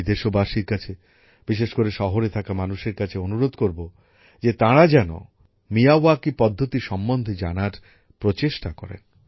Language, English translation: Bengali, I would urge the countrymen, especially those living in cities, to make an effort to learn about the Miyawaki method